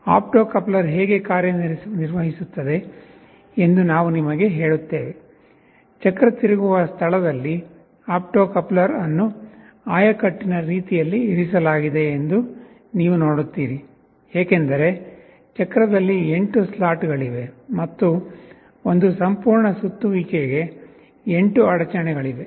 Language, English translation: Kannada, We shall tell you that how an opto coupler works, you see the opto coupler is strategically placed just in the place where the wheel is rotating, because there are 8 slots in the wheel, and for one complete revolution there will be 8 interruptions